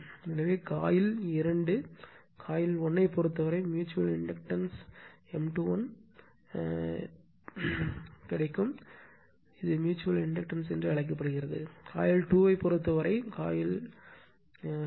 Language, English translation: Tamil, So mutual inductance M 2 1 of coil 2 with respect to coil 1 whenever, we write M 2 1 means, it is actually what you call mutual inductance of the coil 2 with respect to coil 1, this way you will read rights